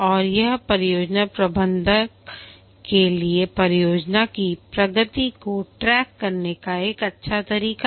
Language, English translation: Hindi, And also this is a way for the scrum master to keep track of the progress of the project